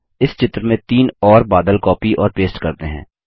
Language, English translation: Hindi, Now, lets copy and paste three more clouds to this picture